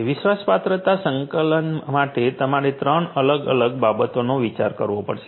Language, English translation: Gujarati, For trustworthiness management, you have to consider these different 3 different things